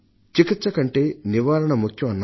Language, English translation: Telugu, Prevention is better than cure